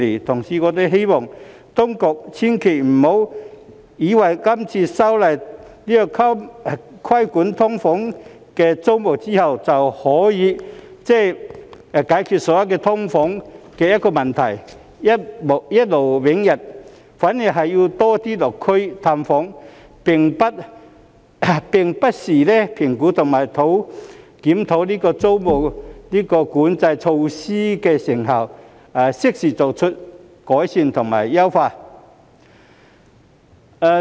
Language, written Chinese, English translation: Cantonese, 同時，我們希望當局千萬不要以為今次修例規管"劏房"租務後便可以解決所有"劏房"問題，一勞永逸；反而，當局是要多些落區探訪，並不時評估及檢討租務管制措施的成效，適時作出改善和優化。, Meanwhile we hope the authorities shall never think that all the problems with SDUs will be solved for once and for all after the current legislative amendment to regulate the tenancies of SDUs; on the contrary the authorities have to pay more visits to the community as well as assess and review from time to time the effectiveness of these tenancy control measures for timely improvement and optimization